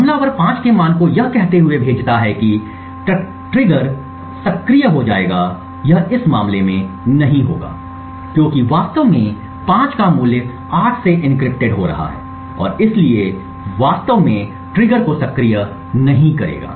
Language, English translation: Hindi, Now, when the attacker sends a value of 5 hoping that the trigger would get activated it will not in this case because in fact the value of 5 is getting encrypted to 8 and therefore will not actually activate the trigger